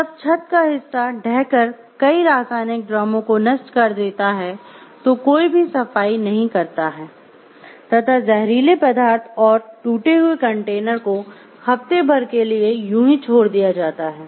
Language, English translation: Hindi, When part of the roof collapse smashing several chemical drums stored below no one cleaned up or move the speed substances and broken containers for week